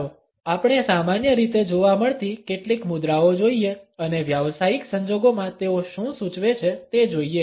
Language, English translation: Gujarati, Let us look at some commonly found postures and what do they signify in professional circumstances